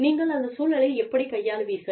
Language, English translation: Tamil, How do you deal, with that situation